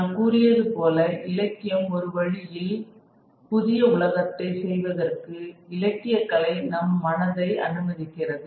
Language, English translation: Tamil, I told you that the literature is one way in which literature and art allows the mind to imagine a newer world